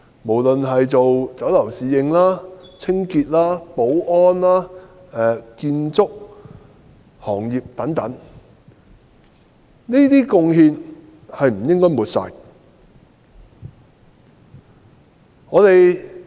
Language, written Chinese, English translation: Cantonese, 無論是酒樓侍應、清潔工、保安員、建築工人等，我們都不應抹煞他們的貢獻。, Whether speaking of waiters in Chinese restaurants cleaning workers security guards or construction workers we should not disregard their contribution